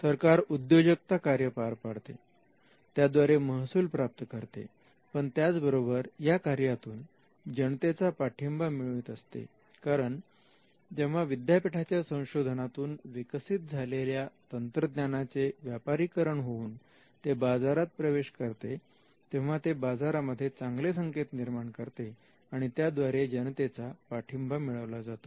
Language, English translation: Marathi, So, apart from when the state discharges its entrepreneurial function apart from earning revenue it also tends to get support from the public, because the state is now making the lives of the people better, because every time the university technology is commercialized and it reaches the market, then that also sends a good signal to the market and it gets support from the public